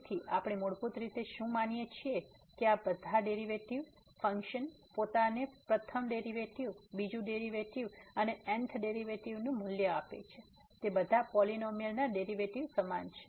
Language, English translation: Gujarati, So, what we assume basically that all these derivatives, the function value itself the first derivative, the second derivative, and th derivative they all are equal to this derivative of the polynomial